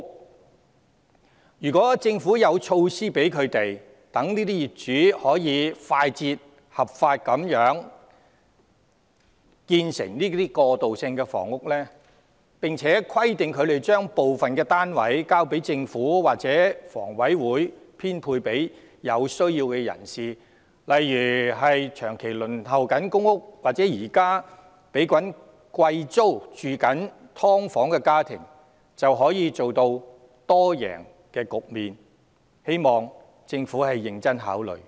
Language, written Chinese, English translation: Cantonese, 假如政府有措施讓這些業主可以快捷、合法地建成過渡性房屋，並規定他們把部分單位交回政府或房委會編配給有需要人士，例如長期輪候公屋或現時繳交昂貴租金的"劏房"家庭，就可達致多贏局面，我希望政府能認真考慮這建議。, A multi - win situation could be achieved if the Government puts in place measures to facilitate the swift and legal construction of transitional housing by these landowners and requires them to hand over part of the units to the Government or HA for allocation to those in need such as families being waitlisted for public housing for an extended period of time or those living in subdivided units and paying exorbitant rentals . I hope the Government can give serious consideration to this proposal